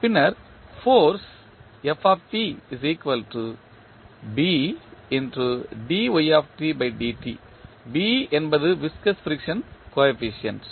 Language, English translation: Tamil, B is the viscous frictional coefficient